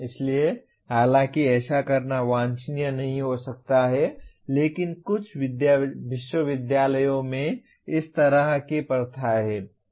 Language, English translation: Hindi, So though it may not be desirable to do so but some universities have such practices